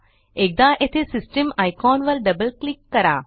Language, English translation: Marathi, Once here, double click on the System icon